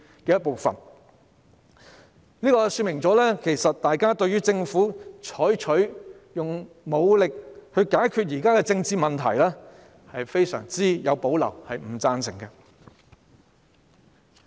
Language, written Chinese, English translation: Cantonese, 這說明大家對於政府採取武力來解決現時的政治問題，是非常有保留和不贊成的。, It is thus evident that people have great reservations about and disagree to the Governments use of force to settle the present political problems